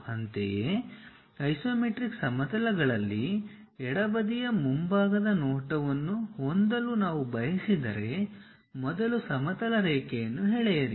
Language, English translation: Kannada, Similarly, if we would like to have left sided front view in the isometric planes first draw a horizontal line